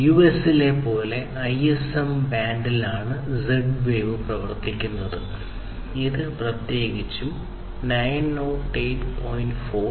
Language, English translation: Malayalam, So, it operates in the ISM band like before, in the US, it is specifically the 908